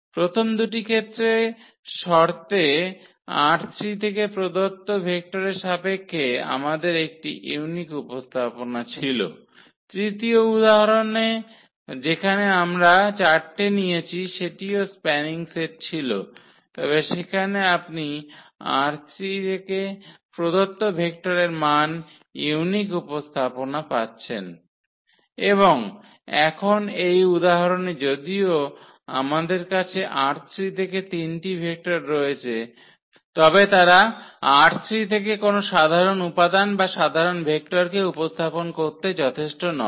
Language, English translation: Bengali, In the first two cases we had a unique representation for a given vector from R 3 in terms of the given vectors, in the third example where we have taken 4 that was also spanning set, but there you are getting non unique representations of a given vector from R 3 and now in this example though we have three vectors from R 3, but they are not sufficient to represent a general element or general vector from R 3